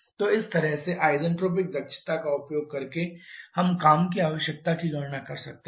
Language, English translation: Hindi, So, this way using isentropic efficiencies in k we can calculate the work requirement